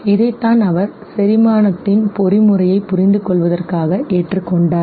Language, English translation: Tamil, This is what he, he adopted in order to understand the mechanism of digestion, but then something very interesting